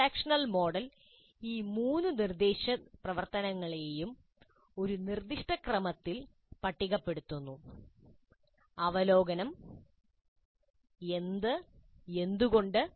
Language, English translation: Malayalam, The transaction model lists these three instructional activities in one specific order, review what and why